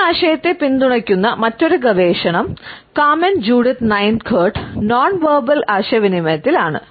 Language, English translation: Malayalam, Another research which also supports this idea is by Carmen Judith Nine Curt, in nonverbal communication